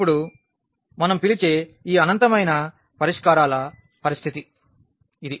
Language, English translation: Telugu, So, now this is the case of this infinitely many solutions which we call